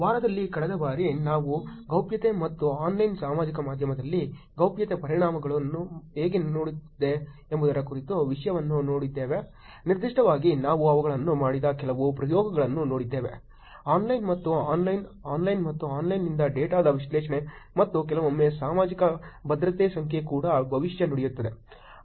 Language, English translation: Kannada, Last time in the week we saw the content about privacy and how privacy implications are going on Online Social Media, in particular we saw some experiments where they are done, an analysis of data from online and online, offline and online and sometimes looking at predicting the Social Security Number also